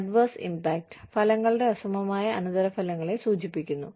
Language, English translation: Malayalam, Adverse impact is, refers to the unequal consequences of results